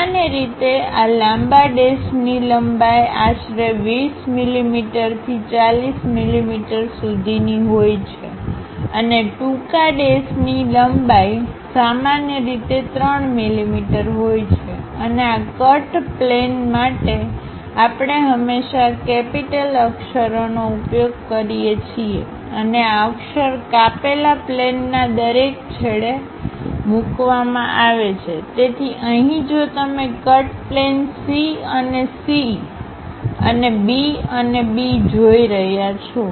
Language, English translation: Gujarati, Usually this long dash will have around 20 mm to 40 mm in length and short dash usually have a length of 3 mm; and for this cut plane, we always use capital letters and these are placed at each end of the cut plane; so, here if you are seeing cut plane C and C and B and B